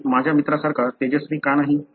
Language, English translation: Marathi, Why I am not as bright as my friend